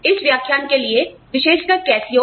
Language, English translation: Hindi, For this lecture, specifically Cascio